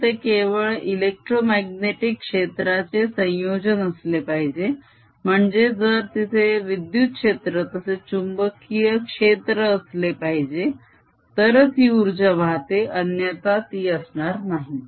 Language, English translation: Marathi, that means if there's an electric field as well as a magnetic field, then only this energy flows, otherwise it's not there